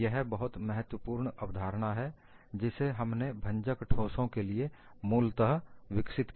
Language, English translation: Hindi, It is a very useful concept that we have primarily developed it for a brittle solid